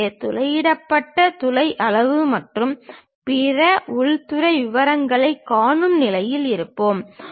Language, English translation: Tamil, So, that we will be in a position to really see the drilled hole size and other interior details